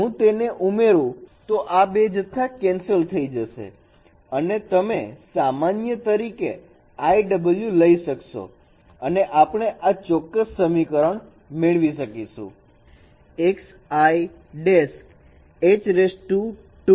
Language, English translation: Gujarati, If I add them these two quantity will be cancelled and you can take WI prime as a common and we will find this will give you this particular equation